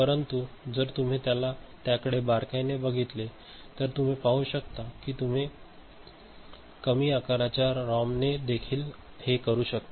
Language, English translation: Marathi, But, if you look at it, look at it closely then perhaps you can see that you can do with less lesser size ROM as well ok